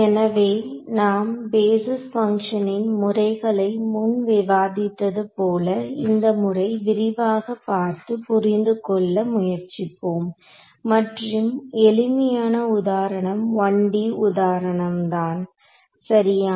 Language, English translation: Tamil, So, now having discussed the kinds of basis functions, we will look at we will try to understand this method in more detail and the simplest example is a 1D example ok